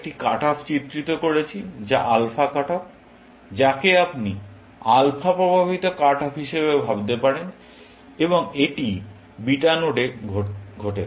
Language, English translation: Bengali, We have illustrated one cut off, which is alpha cut off, which you can also think of as alpha induced cut off, and it happens at the beta node